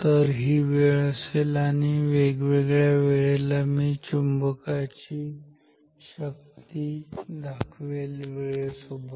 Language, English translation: Marathi, So, this will be time and at different times I will plot this strength of this magnetic field and say time